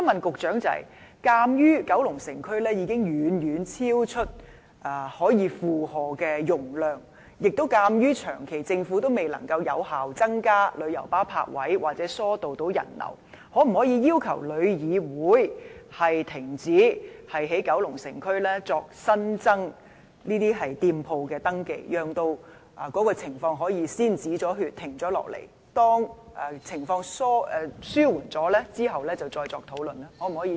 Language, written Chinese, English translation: Cantonese, 鑒於九龍城接待旅客的能力已遠超負荷，而政府長期未能有效增加旅遊巴泊位或疏導人流，我想問局長可否要求旅議會研究停止在九龍城區新增登記店鋪，讓情況能夠先"止血"，待情況紓緩後再作討論？, Since demand far exceeds the receiving capacity of Kowloon City and the Government has all along failed to effectively increase parking spaces for coaches or divert visitors may I ask the Secretary whether the Government will ask TIC to conduct a study on ceasing the registration of new shops in Kowloon City to stop the situation from aggravating and conduct a discussion again when the situation has alleviated?